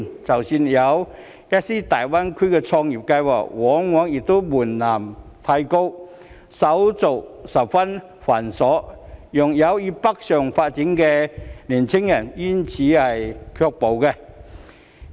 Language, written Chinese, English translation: Cantonese, 即使有，一些大灣區創業計劃往往門檻過高，手續十分繁瑣，令有意北上發展的年輕人卻步。, Even if there is such support some entrepreneurship programmes in GBA invariably come with excessively high thresholds and very cumbersome procedures thereby deterring interested young people from going northward for development